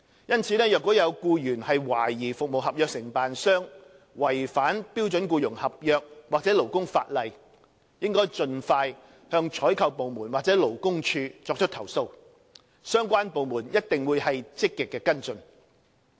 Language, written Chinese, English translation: Cantonese, 因此，若有僱員懷疑服務合約承辦商違反標準僱傭合約或勞工法例，應盡快向採購部門或勞工處作出投訴，相關部門一定會積極跟進。, Therefore if an employee suspects that the contractor of government service contracts has contravened the standard employment contract or labour legislation he should lodge a complaint with the procuring department or LD as soon as possible and the relevant departments will certainly proactively follow up on the case